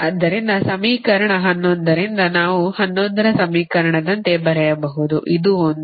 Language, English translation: Kannada, so from equation eleven we can write, like the equation eleven, that is, this, this one, ah